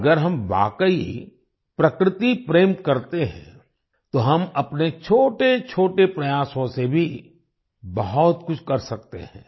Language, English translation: Hindi, If we really love nature, we can do a lot even with our small efforts